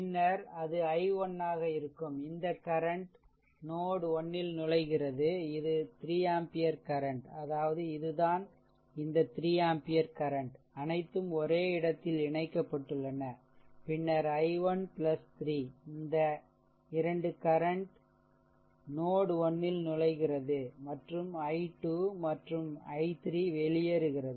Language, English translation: Tamil, Then it will be i 1, this current is entering at node 1, this is 3 ampere current, I mean this is the same thing this is same thing this 3 ampere current, I told you that all are connected at same point, then i 1 plus 3, these 2 are your this current are entering into the node 1 and i 2 and i 3 leaving